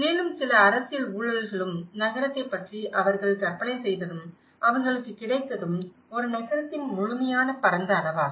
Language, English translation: Tamil, And also, some political corruptions and what they have envisioned about the city and what they have got is a complete vast scale of a city which is utterly silence